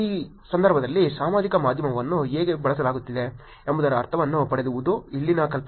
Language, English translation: Kannada, The idea here is for you to get a sense of how social media is being used in these context